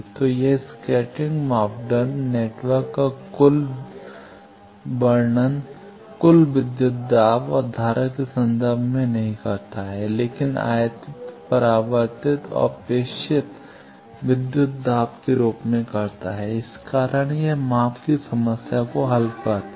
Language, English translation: Hindi, So, this scattering parameter describes the network not in terms of total voltage and current, but in terms of incident reflected and transmitted voltage wave that is why it solves the problem of measurement